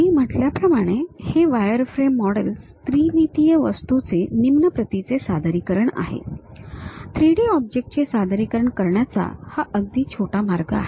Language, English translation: Marathi, As I said these wireframe models are low dimensional representation of a three dimensional object; this is the minimalistic way one can really represent 3D object